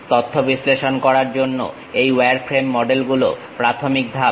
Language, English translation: Bengali, These wireframe models are the beginning step to analyze the data